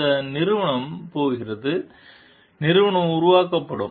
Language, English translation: Tamil, And this company going to; company will be developed